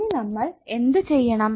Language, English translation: Malayalam, So now what we have to do